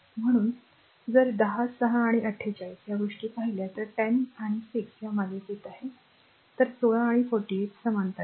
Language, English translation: Marathi, So, if you look so 10, 6 these thing and 48, now if you if you look into I told you that 10 and 6 are in the series; so, 16 and 48 are in parallel right